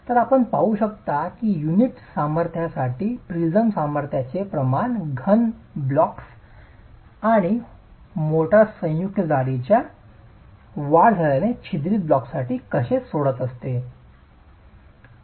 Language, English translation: Marathi, So, you can see how the ratio of the prism strength to the unit strength keeps dropping both for solid blocks and for perforated blocks as the motor joint thickness increases